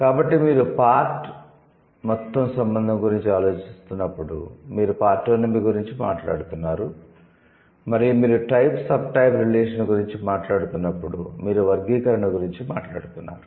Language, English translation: Telugu, So when you are thinking about the part whole relation, that means you are talking about partanomy and when you are talking about the type sub type relation, you are talking about the taxonomy, right